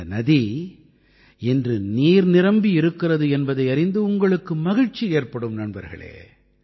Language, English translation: Tamil, Friends, you too would be glad to know that today, the river is brimming with water